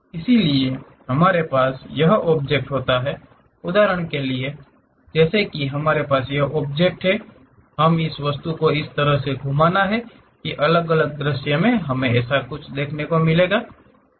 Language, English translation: Hindi, So, we always have this object, for example, like if we have this object; we have to rotate this object in such a way that, different views we are going to see